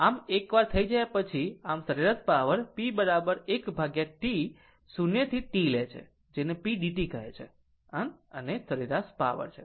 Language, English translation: Gujarati, So, once if you done then the, so the average power you take p is equal to 1 upon T 0 to T what you call p dt right, the average power